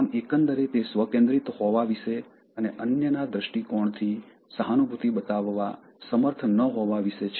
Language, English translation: Gujarati, So overall it is about being self centered and not being able to empathize with others point of view